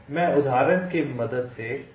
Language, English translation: Hindi, let me taken example